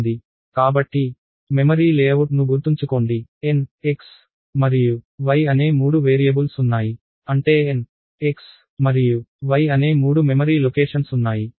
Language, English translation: Telugu, So, remember the memory layout there are three variables n x and y which means there are three memory locations n x and y